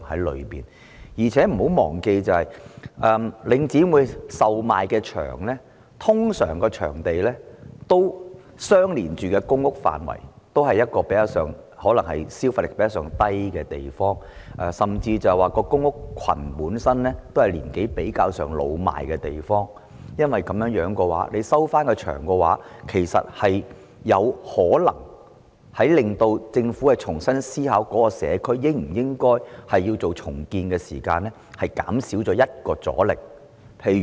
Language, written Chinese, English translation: Cantonese, 況且，大家不要忘記，領展出售的場地通常與公共房屋範圍相連，可能是市民消費能力較低的地方，甚至公屋群本身也是年齡比較老邁的地方，因此，當政府購回場地後，其實有可能令政府在重新思考應否重建該社區時減少其中一種阻力。, Moreover let us not forget that the venues put up for sale by Link REIT are usually adjacent to public housing which are probably places where the peoples spending power is lower or even in clusters of public housing with an older population . Therefore if the Government can buy back these venues actually it can perhaps remove one of the obstacles faced by the Government in considering whether to take forward the redevelopment of the community